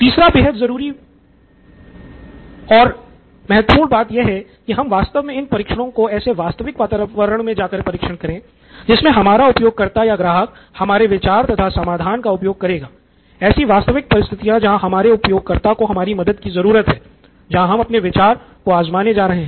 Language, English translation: Hindi, The third one is that you actually perform these trials or test in the actual environment in which your user or customer lives or uses your idea or needs help and that is where you are going to take your idea